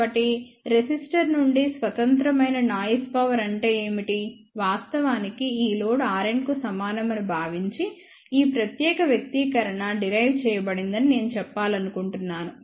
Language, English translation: Telugu, So, what is that mean that is noise power independent of the resistor, well actually speaking I would like to say that this particular expression has been derived assuming that this load is equivalent to R n